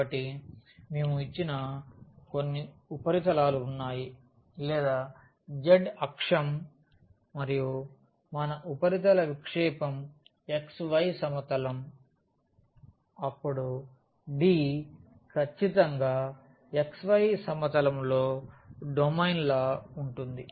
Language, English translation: Telugu, So, we have the some surface given or the z axis and if we project that surface into this xy plane then D will be exactly that domain in the xy plane